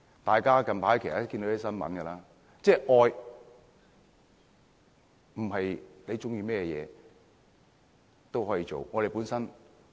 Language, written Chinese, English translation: Cantonese, 大家近來都看到一些新聞，愛不代表喜歡甚麼都可以做。, Members should have recently read some news and found that love does not mean that a person can do whatever he or she likes